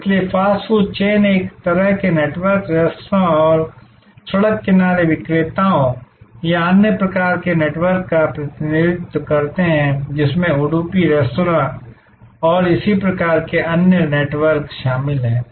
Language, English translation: Hindi, So, fast food chains represent a kind of network, the restaurants and road side vendors or another kind of networks including the udupi restaurant and so on and this Dabbawalas they represent another network